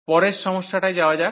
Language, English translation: Bengali, So, going to the next problem